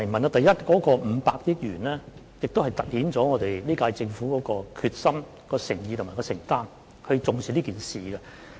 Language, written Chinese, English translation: Cantonese, 第一，這500億元突顯出本屆政府的決心、誠意和承擔，顯示政府是重視此事的。, First this sum of 50 billion underlines the determination sincerity and commitment of the current - term Government and shows the importance attached by the Government to this matter